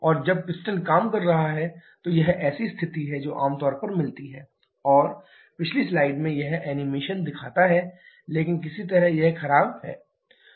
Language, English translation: Hindi, And when the piston is operating this is the situation that is generally get (Video start: 06:45) and this animation show in the previous slide itself but somehow it malfunctioned